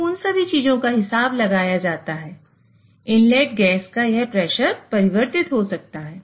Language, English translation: Hindi, So all those things counted, this pressure of the inlet gas may fluctuate